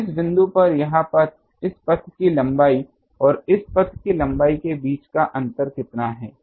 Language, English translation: Hindi, So, this path at this point how much is the difference between this path length and this path length